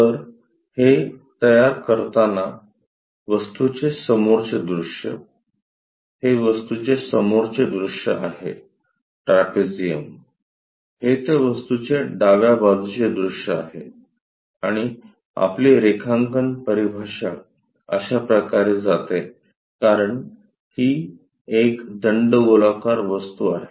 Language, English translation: Marathi, So, doing that, the front view object, this is the front view object, trapezium; this is the left side view of that object and our drawing terminology goes in this way because this is cylindrical object